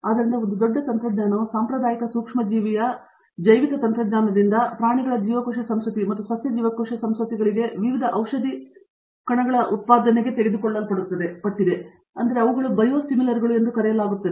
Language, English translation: Kannada, So, a big technology has taken over from traditional microbial biotechnology to animal cell cultures and plant cell cultures for production of various drug molecules, so called as the reason term they give it is Biosimilars